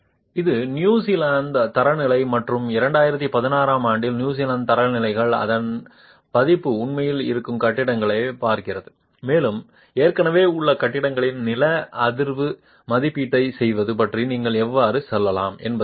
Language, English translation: Tamil, This is with reference to the New Zealand standards, and the New Zealand standards, its version in 2016, actually looks at existing buildings and how you could go about doing a seismic assessment of existing buildings